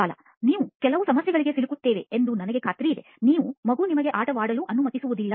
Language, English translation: Kannada, I am sure we will run into some problem, my kid who won’t allow me to play